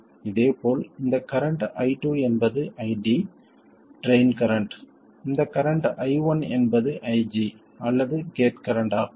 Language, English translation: Tamil, Similarly, this current I2 is ID, the drain current, current I1 is IG or the gate current